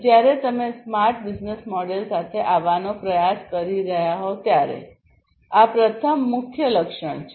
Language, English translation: Gujarati, This is the first key attribute when you are trying to come up with a smart business model